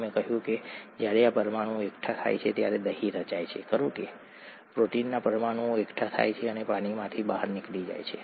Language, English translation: Gujarati, We said curd forms when these molecules aggregate, right, the protein molecules aggregate and get out of water